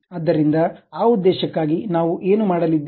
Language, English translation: Kannada, So, for that purpose, what we are going to do